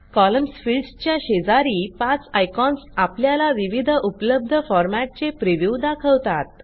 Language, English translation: Marathi, The five icons besides the column field show you the preview of the various formats available